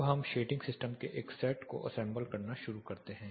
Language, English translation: Hindi, Now, let us start assembling a set of shading systems